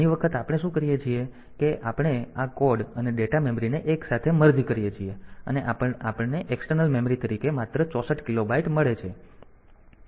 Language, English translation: Gujarati, In many way realizations what we do is that we merge this code and data memory together and we get only 64 kilobyte as the external memory